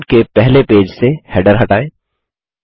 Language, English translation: Hindi, Remove the header from the first page of the document